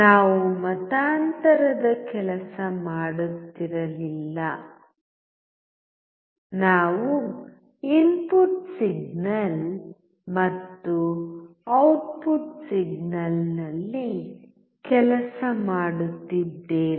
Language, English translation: Kannada, We were not working on the conversion; we were working on the input signal and the output signal